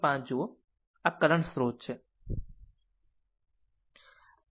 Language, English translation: Gujarati, 5 this is a current source 2